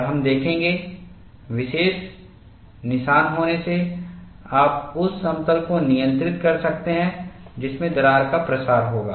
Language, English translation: Hindi, And we would see, by having special notches, you could control the plane in which the crack will propagate